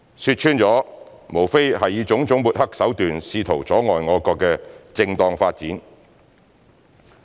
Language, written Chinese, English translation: Cantonese, 說穿了，無非是以種種抹黑手段試圖阻礙我國的正當發展。, To put it bluntly they simply tried to hinder our countrys proper development by various smearing means